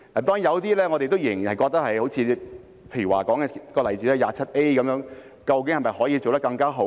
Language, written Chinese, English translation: Cantonese, 當然，我們仍然覺得有些好像......例如第 27A 條究竟可否做得更好？, Of course we still consider that there seems to be some For instance can improvement be made to section 27A?